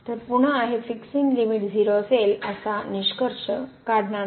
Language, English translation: Marathi, Thus, we cannot conclude that the limit is 0